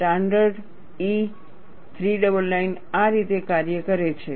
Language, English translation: Gujarati, This is how the standard E399 operates